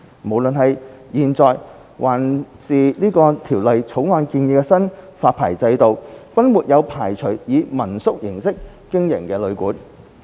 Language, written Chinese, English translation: Cantonese, 無論是現在的發牌制度，還是《條例草案》建議的新發牌制度，均沒有排除以民宿形式經營的旅館。, Both the current licensing regime and the proposed licensing regime under the Bill have not excluded the hotels and guesthouses operating in the mode of home - stay lodging